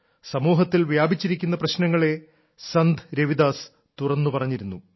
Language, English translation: Malayalam, Sant Ravidas ji always expressed himself openly on the social ills that had pervaded society